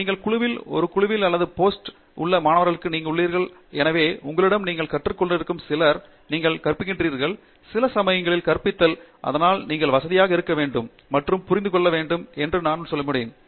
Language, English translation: Tamil, You are typically student in a group or a Post Doc in a group and so, there are people with a wide range of different experience who are working along with you some you are learning from, some you are teaching and sometimes the roles are reversed and so that is a process that you have to get comfortable with and you have to understand